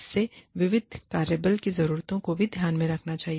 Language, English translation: Hindi, It should also take into account, the needs of a diverse workforce